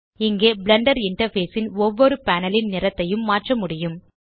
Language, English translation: Tamil, Here you can change the color of each panel of the Blender interface